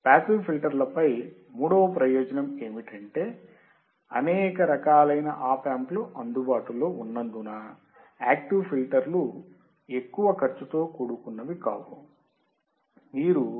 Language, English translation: Telugu, Third advantage over passive filter is, active filters are cost effective as wide variety of economical Op Amp are available